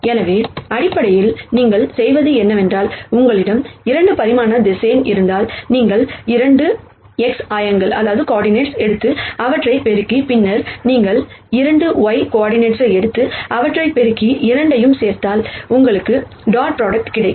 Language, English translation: Tamil, So, basically what you do is, if you have 2 dimensional vector then you take the 2 x coordinates multiply them, and then you take the 2 y coordinates and multiply them and add both of them you will get the dot product